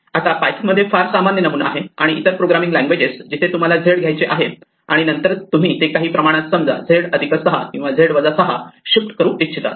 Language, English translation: Marathi, Now, this is a very common paradigm in python and other programming languages where you want to take a name say z, and then you want to shift it by some amount, say z plus 6 or z is equal to z minus 6